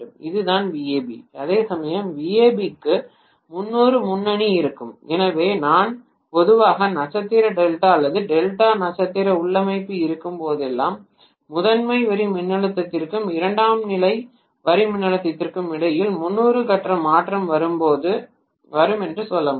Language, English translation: Tamil, This is what is VAB, whereas VAB will have 30 degree lead so I can in general say 30 degree phase shift comes out between the primary line voltage and the secondary line voltage whenever I have either star delta or delta star configuration